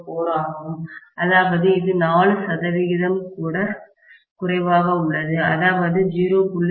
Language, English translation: Tamil, 0004, which means it is less than, not even 4 percent, it is 0